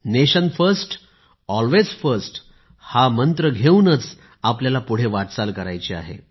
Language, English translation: Marathi, We have to move forward with the mantra 'Nation First, Always First'